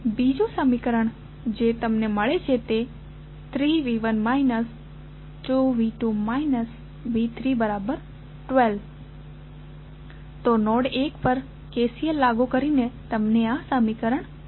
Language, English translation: Gujarati, So, one equation which you got is 3V 1 minus 2V 2 minus V 3 is equal to 12, so this is the equation you got while applying KCL at node 1